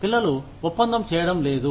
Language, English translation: Telugu, Children not doing the deal